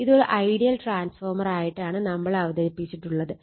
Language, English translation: Malayalam, That means, this one as if it is an ideal transformer